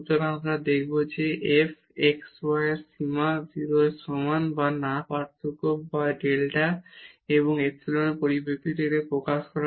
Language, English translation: Bengali, So, we will show that this limit of this f xy is equal to 0 or not by taking this difference and expressing this in terms of the delta and epsilon